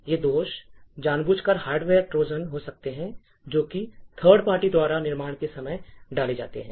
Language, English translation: Hindi, these flaws could be intentional hardware Trojans that are inserted at the time of manufacture by third parties